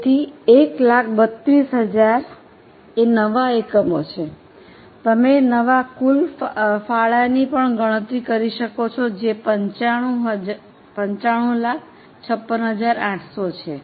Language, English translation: Gujarati, You can also compute the new total contribution which is 9556